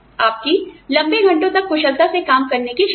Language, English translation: Hindi, Your ability to work for longer hours, work efficiently for longer hours